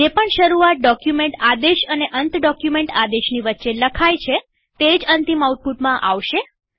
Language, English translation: Gujarati, Whatever comes in between the begin and end document commands only will be in the final output